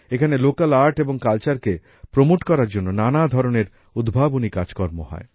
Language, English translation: Bengali, In this, many innovative endeavours are also undertaken to promote local art and culture